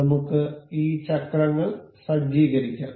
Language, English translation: Malayalam, Let us just let us just set up these wheels